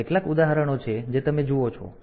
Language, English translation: Gujarati, So, these are some of the examples that you see